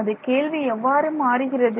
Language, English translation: Tamil, So, what does the question become